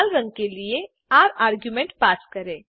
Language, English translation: Hindi, Pass the argument r for red color